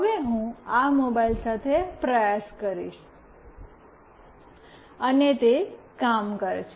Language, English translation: Gujarati, Now, I will try with this mobile, and it worked